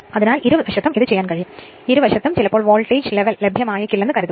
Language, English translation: Malayalam, So, but either side, it can be done; either side, sometimes suppose that voltage level may not be available right